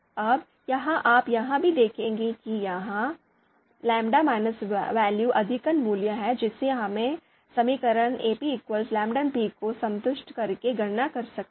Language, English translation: Hindi, Now in this here you would also see that this lambda value the maximum value that is there, that we can calculate satisfying the equation Ap lambda p